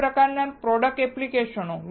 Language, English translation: Gujarati, What kind of product applications